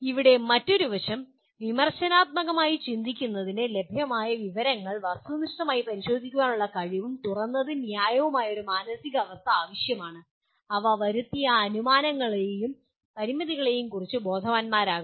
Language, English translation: Malayalam, And here another aspect, thinking critically requires a positive open and fair mindset that is able to objectively examine the available information and is aware of the laid assumptions and limitations brought about by them